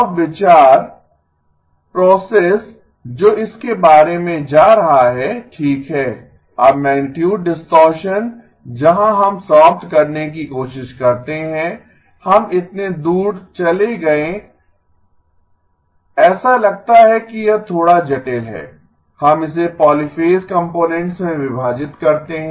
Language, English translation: Hindi, Now the thought the process that goes about is that okay, now magnitude distortion where we try to eliminate, we went so far, it seems to be a little bit complicated, we split it into polyphase components